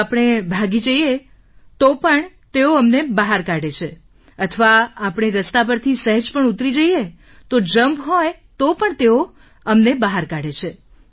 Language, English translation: Gujarati, Even if we run, they will expel us or even if we get off the road a little, they will declare us out even if there is a jump